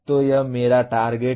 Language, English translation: Hindi, So this is my target